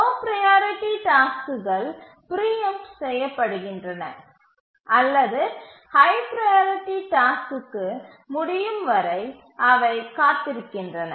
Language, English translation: Tamil, The lower priority tasks are preempted or they just keep on waiting until the higher priority task completes